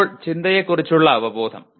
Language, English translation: Malayalam, Now awareness of thinking